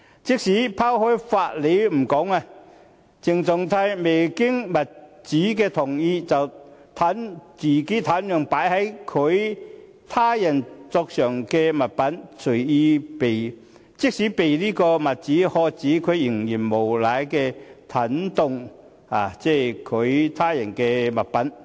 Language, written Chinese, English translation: Cantonese, 即使拋開法理不說，鄭松泰未經物主同意便擅動擺放在他人桌上的物品，即使被物主喝止，他仍然無賴地擅動他人物品。, Even if we do not talk about legality CHENG Chung - tai had tampered with the objects placed on the desks of other people without the permission of the owner . And even when he was told by the owner to stop he continued to act like a rascal and tampered with the objects